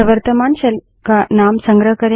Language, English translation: Hindi, It stores the name of the current shell